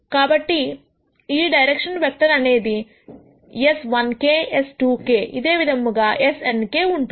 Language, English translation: Telugu, So, this direction vector will be something like s 1 k, s 2 k all the way up to s n k